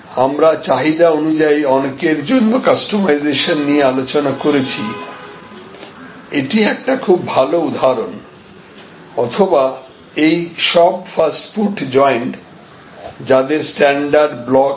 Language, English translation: Bengali, So, we had discussed about this mass customization on demand, which is a good example of that or all these fast food joints, how they have standard blocks